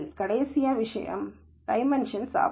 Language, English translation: Tamil, And the last thing is curse of dimensionality